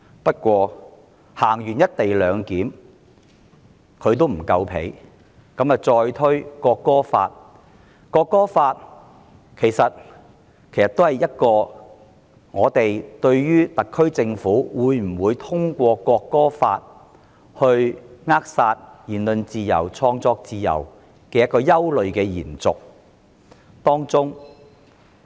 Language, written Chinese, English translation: Cantonese, 不過，在實施"一地兩檢"後她仍未滿足，再推《中華人民共和國國歌法》，而這其實也是我們對特區政府會否藉此扼殺言論自由和創作自由的憂慮的延續。, Nevertheless not being content with the implementation of the co - location arrangement she has further introduced the National Anthem Law of the Peoples Republic of China which is actually another source of our worries as to whether it will become a tool for the SAR Government to stifle freedom of speech and creation